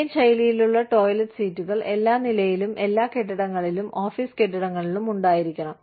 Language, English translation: Malayalam, We are required to have, Indian style toilet seats, on every floor, of every building, office building